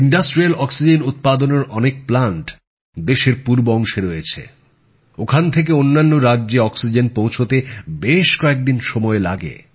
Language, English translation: Bengali, Many plants manufacturing industrial oxygen are located in the eastern parts of the country…transporting oxygen from there to other states of the country requires many days